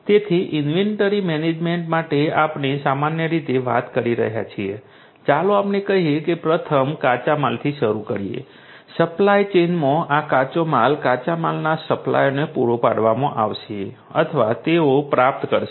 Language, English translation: Gujarati, So, for inventory management we are typically talking about let us say first starting with raw materials, these raw materials in the supply chain are going to be supplied to the raw materials suppliers, they are going to procure or they are going to get it through some other service party